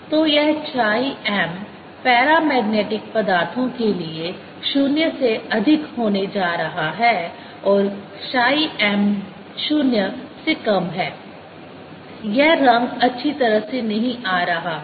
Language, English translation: Hindi, so this is: chi m is going to be greater than zero for paramagnetic materials and chi m is less than zero